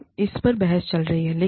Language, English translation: Hindi, Now, there is a debate going on